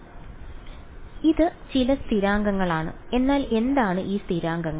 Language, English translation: Malayalam, So, it is some constants, but what are those constants